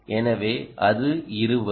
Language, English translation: Tamil, so it's a twenty